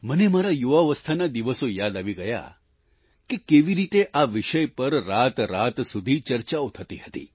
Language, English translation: Gujarati, I was reminded of my younger days… how debates on this subject would carry on through entire nights